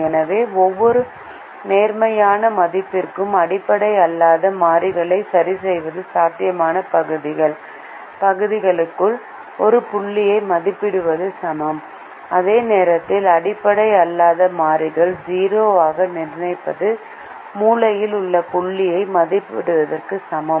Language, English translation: Tamil, so fixing the non basic variables to any positive value is equivalent of evaluating a point inside the feasible region, while fixing the non basic variables to zero is equivalent of evaluating the corner point